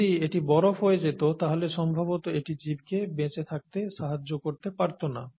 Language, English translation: Bengali, If it solidifies probably it won’t be able to support life